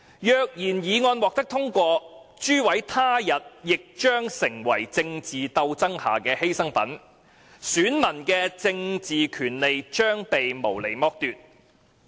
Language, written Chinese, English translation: Cantonese, 若然議案獲得通過，諸位他日亦將成為政治鬥爭下的犧牲品，選民的政治權利將被無理剝奪。, If the motion is passed you will all become sacrifices of political struggles one day whereas electors will be unreasonably deprived of their political rights